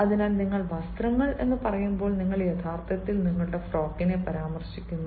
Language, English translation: Malayalam, so when you say clothes, you are actually referring to your dress